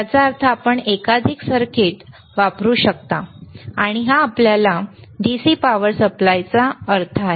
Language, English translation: Marathi, ; tThat means, that you can use multiple circuits, and this is what your DC power supply means